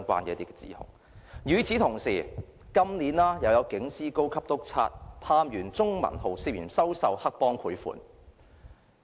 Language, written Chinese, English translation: Cantonese, 與此同時，今年亦有警司、高級督察、探員鍾文浩涉嫌收受黑幫賄款。, Meanwhile this year a Superintendent a Senior inspector and Constable CHUNG Man - ho were suspected of accepting bribes from triad members